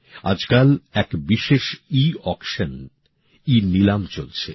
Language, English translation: Bengali, These days, a special Eauction is being held